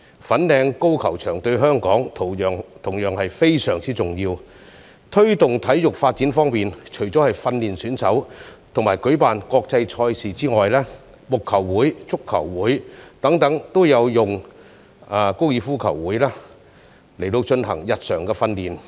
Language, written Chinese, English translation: Cantonese, 粉嶺高爾夫球場對香港同樣非常重要。在推動體育發展方面，除了訓練選手和舉辦國際賽事外，木球會、足球會等亦會借用高爾夫球場進行日常訓練。, The Fanling Golf Course is equally important to Hong Kong for promotion of sports development as it is not only used for training golf players and organizing international tournaments but also used by cricket clubs football clubs etc . for routine training